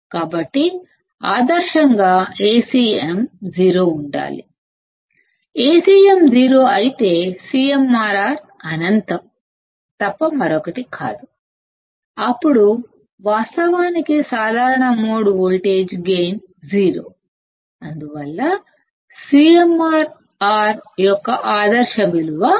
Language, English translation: Telugu, So, ideally Acm should be 0; if Acm is 0, CMRR would be nothing but infinite; Then, ideally common mode voltage gain is 0; hence the ideal value of CMRR is infinity